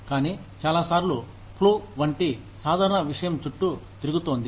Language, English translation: Telugu, But, a lot of times, something as simple as, the flu, is going around